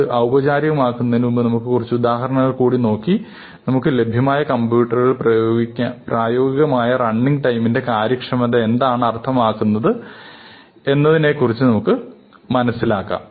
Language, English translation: Malayalam, So, before we formalize this, let us just look at a couple of examples and get a feel for what efficiency means in terms of practical running time on the kinds of computers that we have available to us